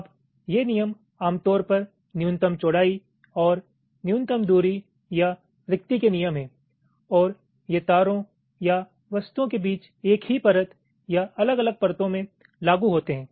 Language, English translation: Hindi, now these ah rules: they are typically minimum width and minimum separation or spacing rules and they apply between wires or objects on the same layer or across different layers